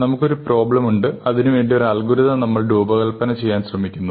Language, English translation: Malayalam, We have a problem, we want to find an algorithm, so we are trying to design an algorithm